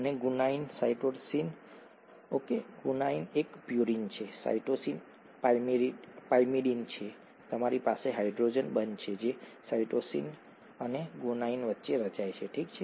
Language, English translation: Gujarati, And guanine, cytosine, okay, guanine is a purine, cytosine is a pyrimidine; you have the hydrogen bonds that are formed between cytosine and guanine, okay